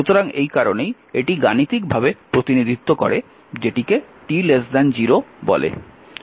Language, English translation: Bengali, So, that is why it is mathematically represent that is your what you call that t less than 0